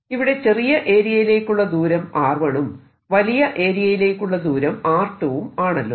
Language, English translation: Malayalam, let the distance here be r one, let the larger distance be r two